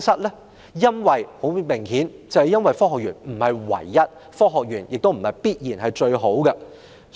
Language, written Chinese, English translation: Cantonese, 答案很明顯，就是科學園並非唯一選擇，也未必最好。, The answer is obvious that is the Science Park is not the only option and it may not be the best either